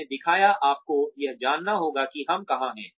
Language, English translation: Hindi, I showed, you need to know, where we are headed